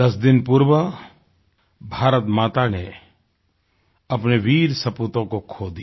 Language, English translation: Hindi, 10 days ago, Mother India had to bear the loss of many of her valiant sons